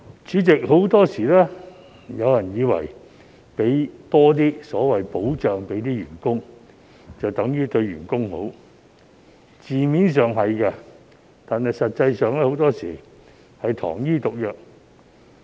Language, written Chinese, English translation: Cantonese, 主席，很多時候，有些人以為多為員工提供所謂"保障"，就等於對員工好，字面上是的，但實際上，很多時是糖衣毒藥。, President some people usually tend to think that it will be good to provide more of the so - called protection for employees and although this may be literally true the protection provided is actually sugar - coated poison in many cases